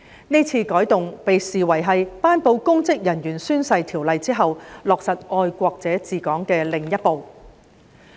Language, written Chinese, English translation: Cantonese, 這次改動被視為是在頒布有關公職人員宣誓的條例後，落實"愛國者治港"的另一步。, This change is regarded as another step in the implementation of patriots administering Hong Kong after the promulgation of the legislation on the requirements for oath - taking of public officers